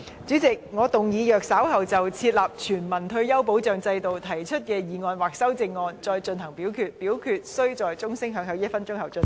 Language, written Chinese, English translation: Cantonese, 主席，我動議若稍後就"設立全民退休保障制度"所提出的議案或修正案再進行點名表決，表決須在鐘聲響起1分鐘後進行。, President I move that in the event of further divisions being claimed in respect of the motion on Establishing a universal retirement protection system or any amendments thereto this Council do proceed to each of such divisions immediately after the division bell has been rung for one minute